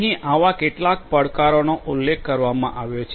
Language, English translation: Gujarati, Here are some of these challenges that are mentioned